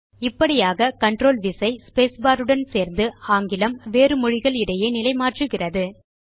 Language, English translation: Tamil, Thus CONTROL key plus space bar acts as a toggle between English and the other language selected